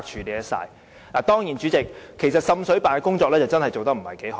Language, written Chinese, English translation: Cantonese, 主席，當然，滲水辦的工作確實也做得不太好。, Chairman to be fair it must be admitted that the performance of the Joint Office is not quite so satisfactory